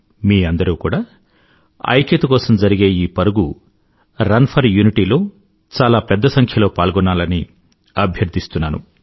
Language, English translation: Telugu, I urge you to participate in the largest possible numbers in this run for unity